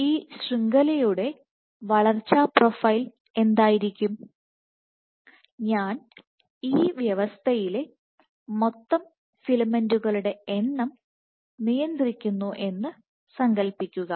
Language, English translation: Malayalam, So, what will be the growth profile of this network imagine that I have I constrained the total number of filaments in the system N filament is the total number of filaments in the system